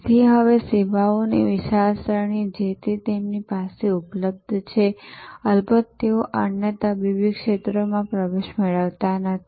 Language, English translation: Gujarati, So, there is now a wide range of services that are available from them in that domain, of course they are not getting into other medical areas